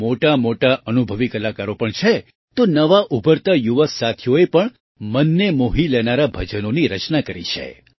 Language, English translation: Gujarati, There are many experienced artists in it and new emerging young artists have also composed heartwarming bhajans